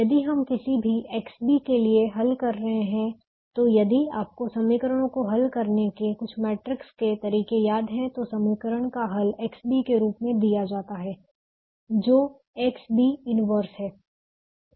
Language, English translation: Hindi, so if we do any, if you are solving for any x b, than if we you remember doing some matrix methods of solving equations, then the solution to equations is given as: x b is a inverse b, where a is the coefficient matrix